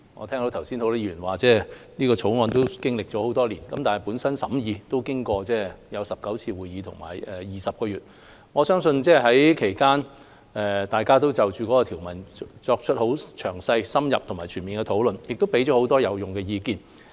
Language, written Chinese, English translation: Cantonese, 剛才很多議員說這《條例草案》已經歷多年，本身審議工作已經過19次會議、20個月，其間大家也就其條文作出了詳細、深入及全面的討論，並給予很多有用的意見。, Many Members said earlier that efforts had been made on the Bill for years; actually the scrutiny of the Bill itself has taken place in 19 meetings over 20 months . During this time Members have discussed the provisions of the Bill thoroughly extensively and comprehensively and provided many useful opinions